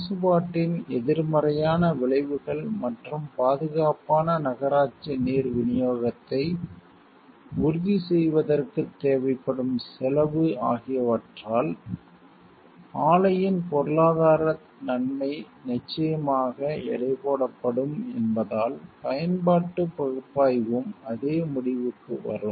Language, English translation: Tamil, Utilitarian analysis will also probably come to the same conclusion, since the economic benefit of the plant would almost certainly be outwitted by the negative effects of the pollution and the course required to ensure our safe municipal water supply